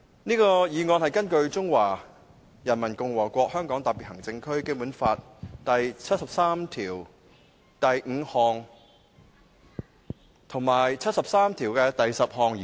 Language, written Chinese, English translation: Cantonese, 這項議案是根據《中華人民共和國香港特別行政區基本法》第七十三條第五項及第七十三條第十項動議。, This motion is moved under Articles 735 and 7310 of the Basic Law of the Hong Kong Special Administrative Region of the Peoples Republic of China